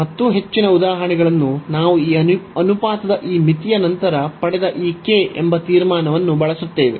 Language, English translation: Kannada, And most of the examples exactly we use this conclusion that this j k, which we got after this limit of this ratio